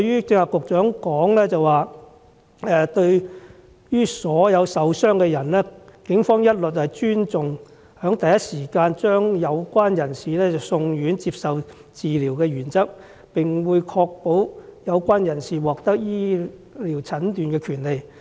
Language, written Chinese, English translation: Cantonese, 局長剛才亦表示，對於所有受傷的人，警方一律尊重在第一時間將有關人士送院接受治療的原則，並會確保有關人士獲得醫療診治的權利。, Just now the Secretary also said that for all injured persons the Police upheld the principle that they should be sent to hospital for treatment as soon as possible and safeguarded the right of the persons concerned in receiving treatment